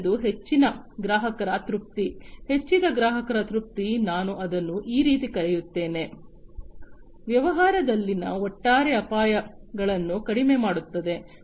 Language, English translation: Kannada, The third one is the higher customer satisfaction, increased customer satisfaction let me call it that way, reducing the overall risks in the business